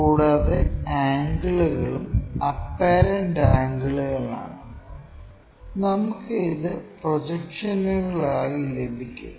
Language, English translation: Malayalam, And, the angles are also apparent angles we will have it as projections